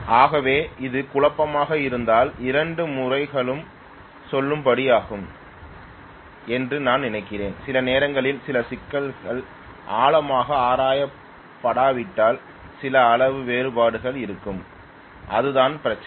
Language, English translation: Tamil, So if this is the confusion than I think both methodologies are valid because sometimes some of the problems you know have some amount of discrepancy unless it is deeply looked into, that is the problem right